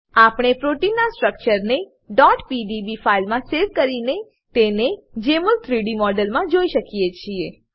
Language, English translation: Gujarati, We can save the structures of proteins as .pdb files and view them in 3D mode in Jmol